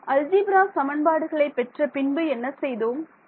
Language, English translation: Tamil, Once I got the system of algebraic equations what did I do